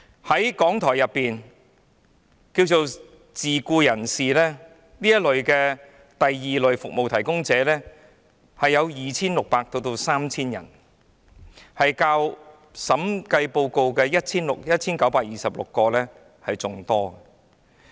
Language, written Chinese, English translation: Cantonese, 在港台的自僱人士，即這些第 II 類服務提供者人數為 2,600 至 3,000 人，較審計署報告中的 1,926 人為多。, In RTHK there are 2 600 to 3 000 self - employed persons or Category II Service Providers and their actual number is more than 1 926 as stated in the Director of Audits report